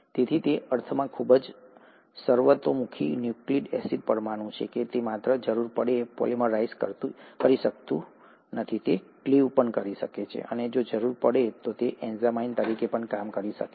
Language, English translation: Gujarati, So it's a very versatile nucleic acid molecule in that sense, that it not only can polymerize itself if the need be, it can cleave, and if the need be, it can also act as an enzyme